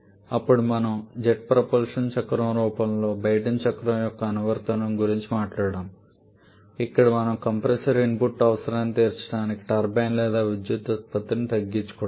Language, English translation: Telugu, Then we talked about the application of Brayton cycle in the form of jet propulsion cycle where we curtail the turbine or power output